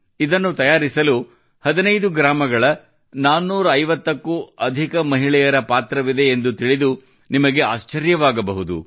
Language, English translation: Kannada, You will be surprised to know that more than 450 women from 15 villages are involved in weaving them